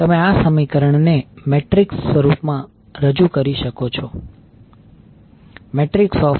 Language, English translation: Gujarati, You can represent this equation in matrix form